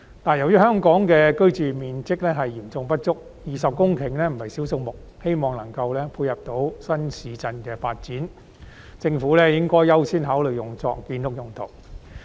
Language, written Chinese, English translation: Cantonese, 但由於香港的居住面積嚴重不足 ，20 公頃不是少數目，我希望有關土地的用途能夠配合新市鎮的發展。政府應該優先考慮將有關土地用作建屋用途。, But considering the acute shortage of areas for housing in Hong Kong and the considerable size of the 20 hectares of land I hope that the use of the land concerned can dovetail with the development of new towns and the Government should give construction of housing a higher priority in the consideration of its use